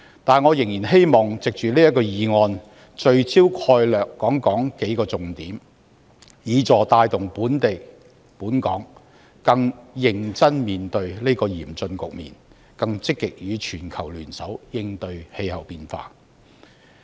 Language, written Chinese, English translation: Cantonese, 但是，我仍然希望藉着這項議案辯論，聚焦數個重點概略，以協助帶動本港更認真地面對這個嚴峻局面，更積極與全球聯手應對氣候變化。, However I wish to focus our debate on this motion on several key issues with a view to motivating various parties in Hong Kong to face this severe problem more seriously and participate more actively in the global efforts to tackle the problem of climate change